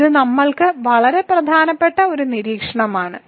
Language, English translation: Malayalam, So, this is an extremely important observation for us